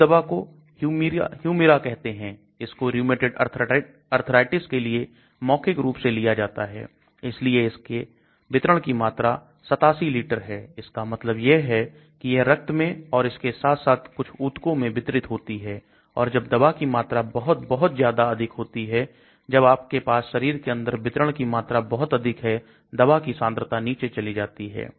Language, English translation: Hindi, This drug is called Humira, This is for rheumatoid arthritis is taken as a oral drug, so the volume of distribution is 87 liters, that means it gets distributed in the blood as well as in some tissues, and when you have the very large volume of distribution inside the body the concentration of the drug goes down